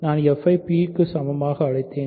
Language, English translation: Tamil, So, by the way I have called f equal to p